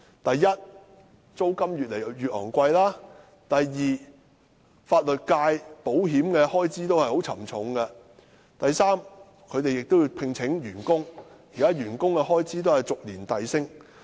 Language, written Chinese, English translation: Cantonese, 第一，租金越來越昂貴；第二，法律界保險的開支也十分沉重；及第三，他們亦要聘請員工，而員工的開支亦按年遞升。, First rent is rising rapidly . Second the insurance expense for the legal sector is very heavy . Third they have to employ staff and staff expenses are rising every year